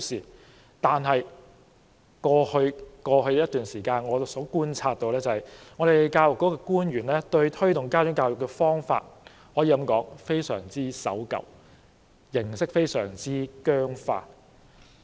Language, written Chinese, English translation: Cantonese, 然而，根據我在過去一段時間觀察所得，教育局的官員推動家長教育的方法，可說是非常守舊，而形式也十分僵化。, However my past observation is that the way which Education Bureau officials promote parent education is too conservative and the format is very rigid